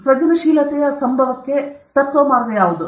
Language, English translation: Kannada, What is the principle way for occurrence of creativity